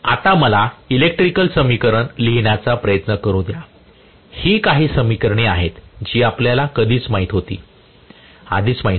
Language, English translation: Marathi, Let me now try to write the electrical equation, these are some of the equations which we already knew, let me try to write the electrical equations, we wrote one of the electrical equation already